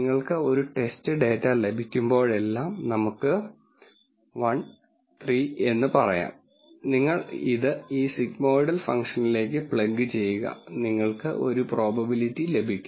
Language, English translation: Malayalam, Then whenever you get a test data, let us say 1 3, you plug this into this sigmoidal function and you get a probability